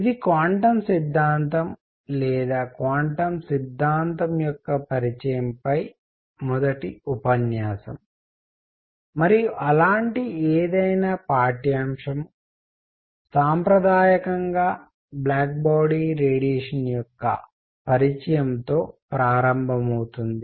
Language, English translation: Telugu, This is first lecture on Quantum Theory or Introduction to Quantum Theory, and any such course traditionally begins with Introduction to Black body Radiation